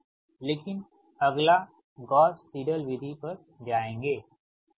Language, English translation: Hindi, so, but next will move to the gauss seidel method